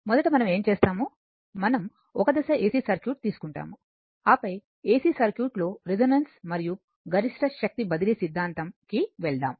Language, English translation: Telugu, First what we will do, we will take the single phase AC circuit, then will go for your manual, your resonance and as well as that maximum power transfer theorem for AC circuit